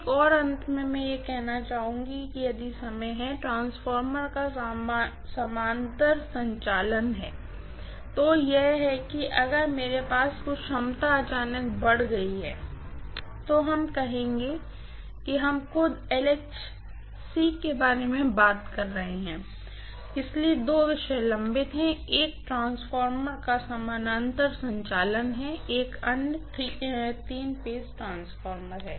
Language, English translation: Hindi, One more finally I would like to do if time permits is parallel operation of transformer, that is if I have some capacity increased suddenly let us say we are talking about LHC itself, so two topics are pending, one is parallel operation of transformer, the other one is three phase transformer